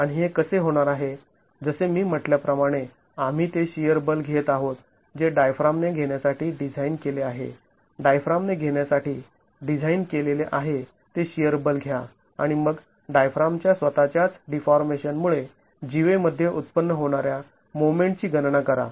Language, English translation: Marathi, As I said, we take the shear force that the diaphragm is designed to take, take the shear force that the diaphragm is designed to take and then calculate the moment generated in the cord because of the deformation of the diaphragm itself